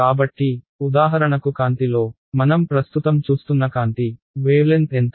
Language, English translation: Telugu, So, in light for example, the light with which we are seeing right now, the wavelength is how much